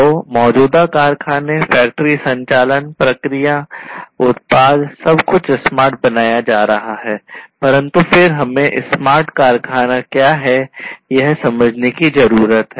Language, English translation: Hindi, So, existing factory, factory operation, their operations, processes, products everything being made smarter, but then we need to understand that what smart factory is all about